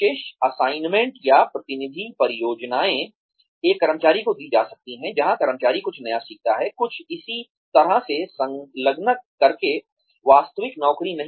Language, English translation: Hindi, Special assignments or representative projects, can be given to an employee, where the employee learns something new, by engaging in something similar, not the actual job